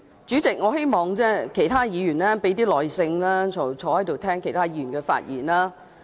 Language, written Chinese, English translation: Cantonese, 主席，我希望其他議員可以有多點耐性，坐在席上聆聽其他議員的發言。, President I hope other Members can listen to other Members speeches in their seats with greater patience